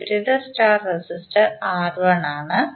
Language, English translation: Malayalam, The opposite star resistor is R1